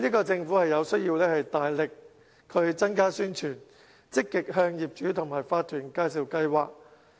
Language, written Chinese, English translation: Cantonese, 政府就此有需要大力增加宣傳，積極向業主和法團介紹計劃。, The Government has to enhance publicity and actively introduce the programme to owners and owners corporations OCs